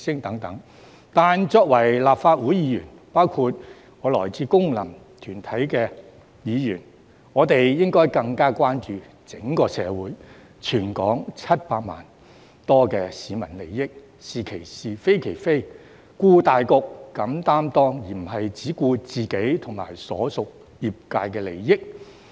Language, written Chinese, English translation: Cantonese, 但是，作為立法會議員，包括我這類來自功能團體的議員，應該更關注整個社會及全港700多萬市民的利益，"是其是，非其非，顧大局，敢擔當"，而不是只顧自己和所屬業界的利益。, However as Legislative Council Members including Members from functional constituencies like me we should be more concerned about the interests of the whole community and some 7 million people in Hong Kong . We should be specific about what constitutes right and wrong take the big picture into consideration and dare to take responsibilities instead of merely looking after our own interests and those of our respective sectors